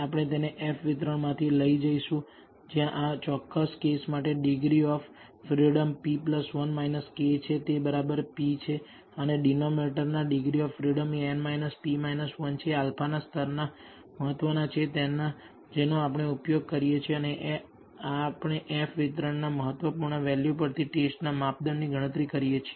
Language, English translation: Gujarati, We will take it from the F distribution where the numerator degrees of freedom is p plus 1 minus k for this particular case it is exactly p and the denominator degrees of freedom is n minus p minus 1 and alpha level of significance we use and we compute the test criteria, critical value from the F distribution